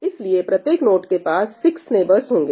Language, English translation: Hindi, So, each node would have 6 neighbors